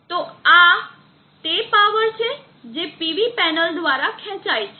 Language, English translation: Gujarati, So this is the power that is drawn from the PV panel